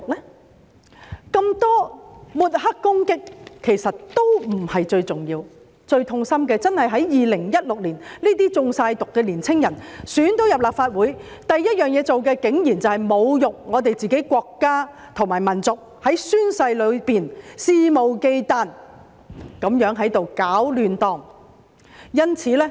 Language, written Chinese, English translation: Cantonese, 那麼多抹黑攻擊，其實都不是最重要，最痛心的真的是在2016年，這些完全"中毒"的年青人成功被選入立法會，他們首要做的事情竟然是侮辱自己的國家和民族，在宣誓裏肆無忌憚地搗亂。, How were their minds poisoned? . The many smear attacks in fact are not of utmost importance . What is most saddening is that in 2016 these young people whose minds were completely poisoned were elected to the Legislative Council and the first thing they did was to insult their country and nation and to make trouble blatantly during the oath - taking ceremony